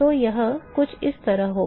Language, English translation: Hindi, So, that will be something like this